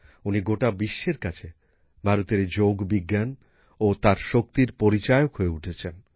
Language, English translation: Bengali, She has become a prominent face of India's science of yoga and its strength, in the world